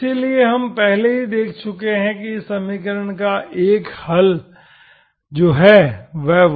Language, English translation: Hindi, So we have already seen earlier that this equation has a solution, one solution which is that are y1 of x